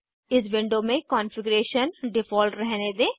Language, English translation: Hindi, In this window, keep the default configuration